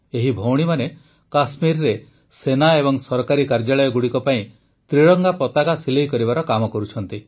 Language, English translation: Odia, In Kashmir, these sisters are working to make the Tricolour for the Army and government offices